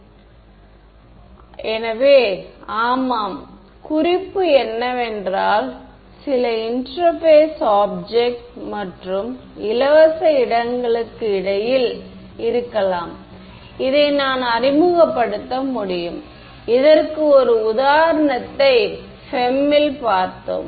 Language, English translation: Tamil, So yeah the hint is that at the at some interface between the object and free space is possibly where I can introduce this, and we have seen one example of this in the FEM ok